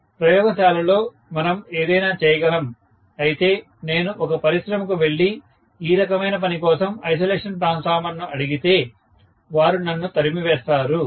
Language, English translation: Telugu, In the laboratory we can do anything but if I try to go to an industry and ask for an isolation transformer for this kind of job, they will kick me out, right